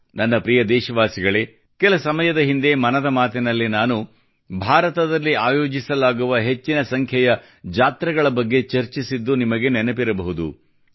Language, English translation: Kannada, My dear countrymen, you might remember that some time ago in 'Mann Ki Baat' I had discussed about the large number of fairs being organized in India